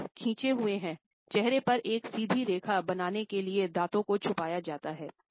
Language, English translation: Hindi, The lips are stretched that across the face to form a straight line and the teeth are concealed